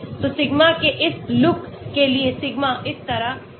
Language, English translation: Hindi, so sigma for this look at the sigma is like this